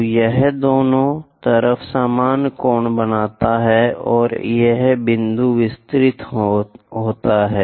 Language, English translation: Hindi, So, it makes equal angles on both sides, and this point extended